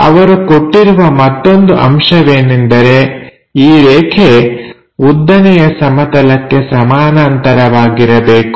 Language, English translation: Kannada, The other condition what they have given is this line should be parallel to vertical plane